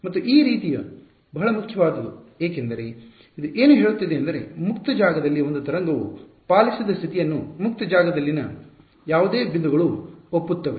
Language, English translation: Kannada, And why is this sort of very important is because, what is it saying this is the condition obeyed by a wave in free space any points in free space agree